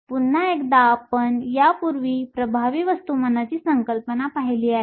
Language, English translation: Marathi, Once again, we have seen the concept of effective mass before